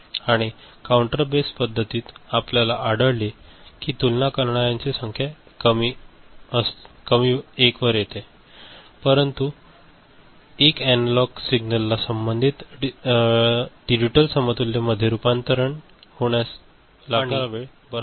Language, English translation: Marathi, And in the counter based method we found that the number of comparator reduces to 1, but the time taken to convert, an analog signal to corresponding digital equivalent is quite large